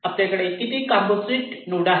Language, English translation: Marathi, you see how many such composite nodes you have